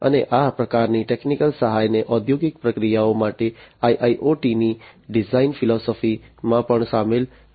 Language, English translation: Gujarati, And this kind of technical assistance will also have to be incorporated into the design philosophy of IIoT for industrial processes